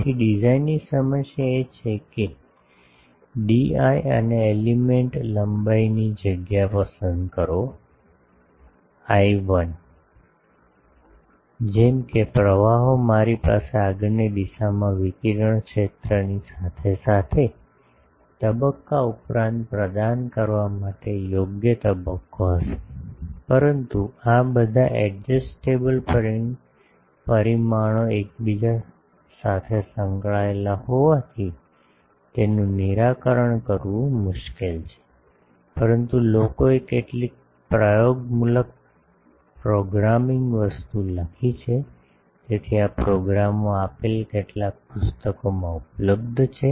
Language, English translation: Gujarati, This now becomes an n plus 1 port, so you can see that, we can write the n port Z matrix like this So, the design problem is, choose the space in d i and element length l i; such that the currents I will have the proper phase to provide in phase addition to the radiated field in the forward direction, but since all this adjustable parameters are inter related, it is difficult to solve, but people have write some empirical programming thing, so these programs are available in some books these are given